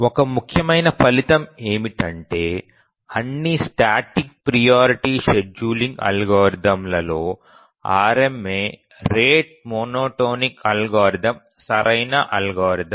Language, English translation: Telugu, One important result is that among all static priority scheduling algorithms, RMA, the rate monotonic algorithm is the optimal algorithm